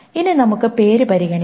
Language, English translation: Malayalam, Now let us consider name